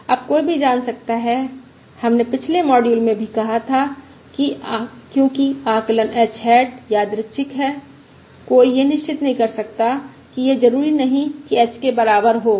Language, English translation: Hindi, now we also said in the previous module that because the estimate h hat is random, one can never be certain that it is not necessarily equal to h